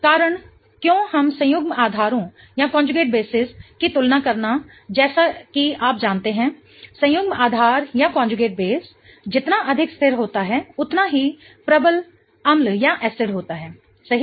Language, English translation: Hindi, The reason why we are comparing conjugate basis is as you know, the more stable the conjugate base, the stronger is the acid, right